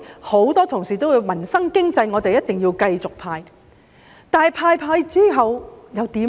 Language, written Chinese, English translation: Cantonese, 很多同事說有助民生經濟的，我們一定要繼續派，但派完之後又怎樣呢？, Many colleagues said that we had to continue giving handouts for it would improve peoples livelihood and the economy but what shall we do afterwards?